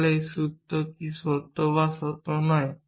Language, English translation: Bengali, So, what does this formula true or not true